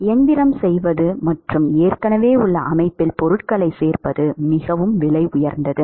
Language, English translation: Tamil, It is very expensive to do machining and add materials to an existing system